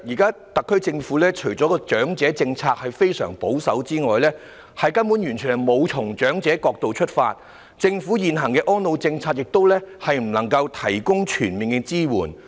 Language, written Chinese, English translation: Cantonese, 主席，特區政府現時的長者政策除了非常保守，更完全沒有從長者的角度出發，針對他們的需要；政府現行安老政策亦未能提供全面支援。, President apart from being very conservative the existing elderly policy of the Special Administrative Region Government does not focus on the needs of the elderly from their angle at all . The existing elderly care policy of the Government cannot provide comprehensive support either